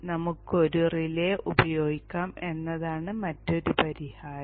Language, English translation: Malayalam, Another solution is probably we could use a relay